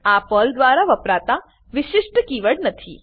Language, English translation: Gujarati, These are not the special keywords used by Perl